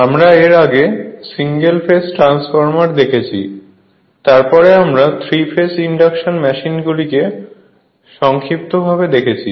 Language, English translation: Bengali, So, little bit we have seen single phase transformer, then we have seen your 3 phase induction machines only in brief right